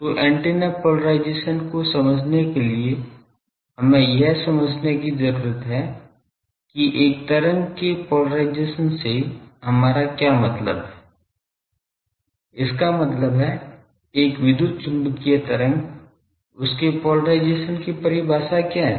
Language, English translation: Hindi, So, to understand antennas polarization; we need to understand what do we mean by polarisation of a wave; that means, an electromagnetic wave what is the polarisation is this what is the definition of polarisation of that